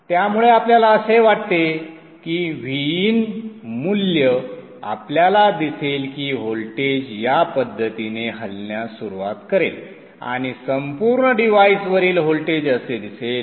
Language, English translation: Marathi, So if this is the VIN value you will see that the voltage will start moving in this fashion the voltage across the device the switch will be like this